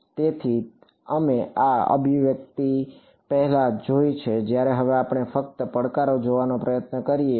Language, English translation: Gujarati, So, we have seen this expression before now when I now let us just try to look at the challenges